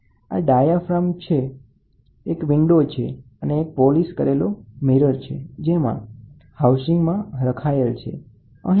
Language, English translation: Gujarati, These are the diaphragm, this is a window, here is housing, so here is a mirror which is polished very well